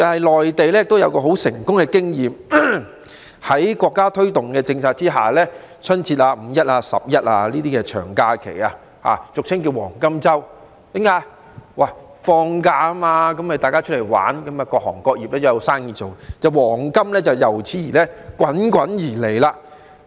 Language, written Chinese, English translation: Cantonese, 內地也有很成功的經驗，在國家推動的政策下，例如春節、"五一"、"十一"等長假期俗稱為"黃金周"，因為大家在放假時都會出外遊玩，各行各業也有生意做，於是黃金便滾滾而來。, The Mainland has had some successful experiences . With the promotion of government policies Mainland people usually go out for fun during the long holidays of Chinese New Year Labour Day National Day etc commonly referred to as the Golden Weeks . As a result business will be vibrant for all trades which will bring about enormous profits